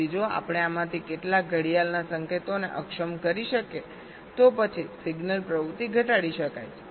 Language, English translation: Gujarati, so if we can disable some of these clock signals, then the signal activity can be reduced